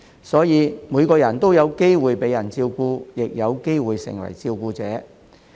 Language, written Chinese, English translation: Cantonese, 所以每個人都有機會被人照顧，亦有機會成為照顧者。, Thus everyone has the opportunity to be taken care of and to become a carer